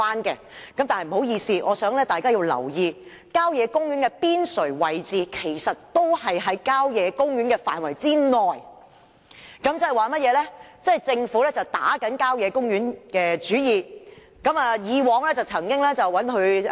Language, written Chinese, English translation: Cantonese, 然而，不好意思，我希望大家留意，郊野公園邊陲位置其實仍在郊野公園範圍之內，即政府正向郊野公園打主意。, I want to draw the publics attention to the fact that sites on the periphery of country parks still fall within the boundary of country parks . In other words the Government is eyeing the country parks again